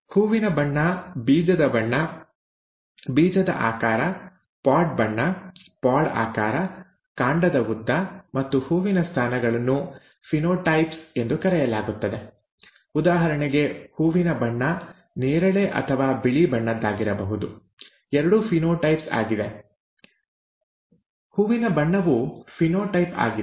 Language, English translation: Kannada, Let us go further to see, to explain this and these characters, flower colour, seed colour, seed shape, pod colour, pod shape, stem length and flower positions are called ‘phenotypes’; for example, the flower colour could be either purple or white; both are phenotypes, flower colour is a phenotype and so on